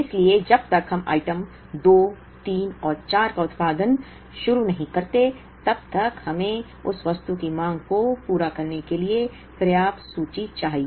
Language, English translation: Hindi, So, till the time we start producing items two, three and four, we need enough inventory to meet the demand of that item